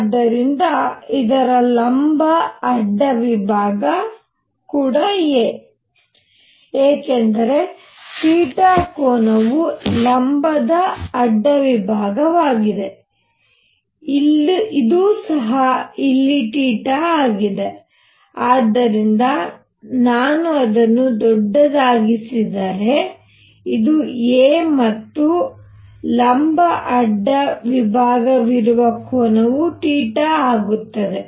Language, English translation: Kannada, So, the perpendicular cross section of this a, because this angle is theta is this perpendicular cross section this is also theta out here, so if I make it bigger this is a and this is the perpendicular cross section this angle is theta